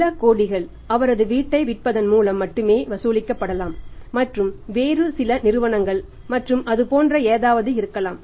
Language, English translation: Tamil, May be a few crores are only collectible by selling his house and maybe other some other companies and something like that